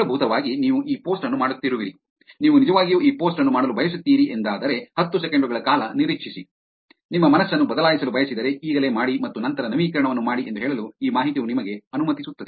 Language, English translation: Kannada, This information just lets you to say that essentially, you are doing this post, you really want to do this post, wait for ten seconds, if you want to change your mind, do it now, and then do the update